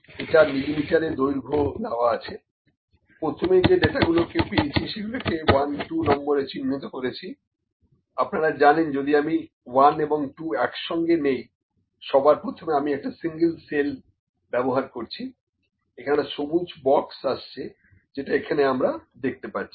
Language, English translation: Bengali, This is length in millimetres, the data that was given first of all I will put numbers here, 1 2 you know if I select 1 and 2 together first of all if I select a single cell, if I select single it is selected using this green box is occurring here